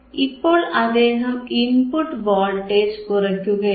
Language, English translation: Malayalam, Now, we have to apply the input voltage